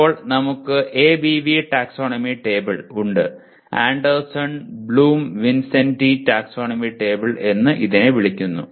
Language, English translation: Malayalam, So now you have we call it ABV taxonomy table, Anderson Bloom Vincenti taxonomy table